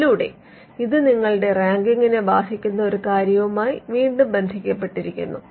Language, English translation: Malayalam, So, that could again relate to something that affects your ranking